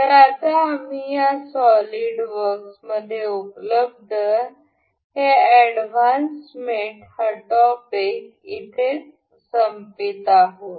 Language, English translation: Marathi, So, now we have finished this advanced mates available in this solid works